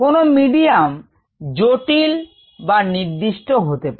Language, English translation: Bengali, the medium could either be complex or be defined